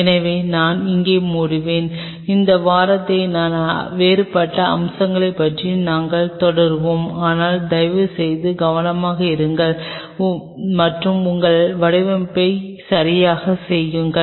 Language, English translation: Tamil, So, I will close in here and we will continue this discussion on other different aspects of it, but please be careful and do your designing right